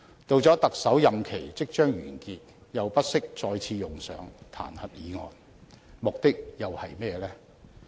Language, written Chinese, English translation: Cantonese, 到了他的特首任期即將完結，又不惜再次用上彈劾議案，目的又是甚麼呢？, At a time when his term of office is about to end they once again initiate an impeachment motion . What is their purpose?